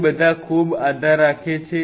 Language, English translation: Gujarati, It all depends very